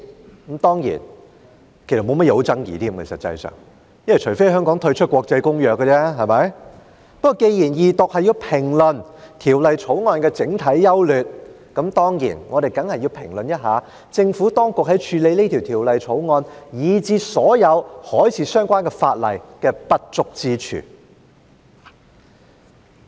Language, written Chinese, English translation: Cantonese, 不過，既然這項二讀辯論是要評論《2019年運貨貨櫃條例草案》的整體優劣，我們當然要評論一下，政府當局在處理《條例草案》，以至所有海事相關的法例的不足之處。, Nevertheless as the purpose of this Second Reading debate is to discuss the general merits of the Freight Containers Safety Amendment Bill 2019 the Bill we ought to give our comments on the shortcomings in the way the Administration handles the Bill as well as all the marine - related legislation